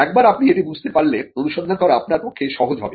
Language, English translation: Bengali, Once you understand this, it is easier for you to do the search